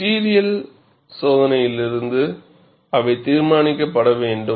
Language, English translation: Tamil, They have to be determined from material testing